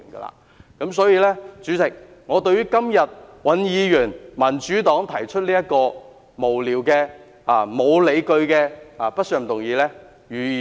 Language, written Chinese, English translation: Cantonese, 有鑒於此，代理主席，我反對尹議員、民主黨今天提出的這項無聊、沒有理據的不信任議案。, In view of this Deputy President I oppose to this frivolous and unreasonable motion on vote of no confidence proposed by Mr WAN and the Democratic Party today